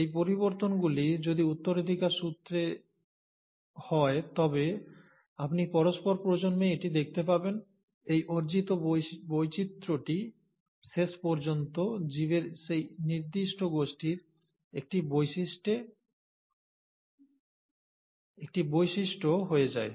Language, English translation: Bengali, If these changes are heritable, you will find that over successive generations, the variation, this originally acquired variation which eventually become a characteristic of that particular group of organisms